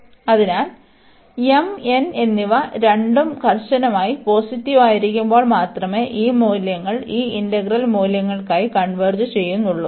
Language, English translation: Malayalam, So, we will see that this integral converges only for these values when m and n both are strictly positive